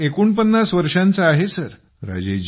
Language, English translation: Marathi, I am forty nine years old, Sir